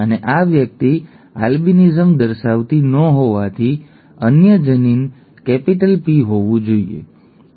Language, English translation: Gujarati, And since this person is not showing albinism allele has to be capital P